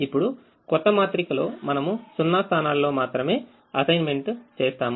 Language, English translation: Telugu, now in in the new matrix, we would only make assignments in zero positions